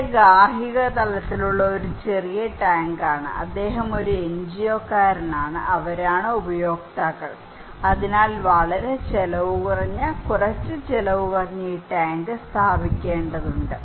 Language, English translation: Malayalam, So, this is a small tank at the household level, he is the NGO person, and they are the users so, we need to install this tank which is not very costly, little costly